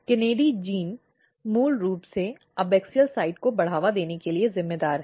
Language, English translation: Hindi, So, KANADI genes are basically responsible for promoting abaxial side